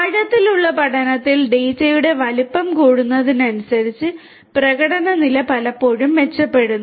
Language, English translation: Malayalam, In deep learning, the performance level often improves as the size of the data increases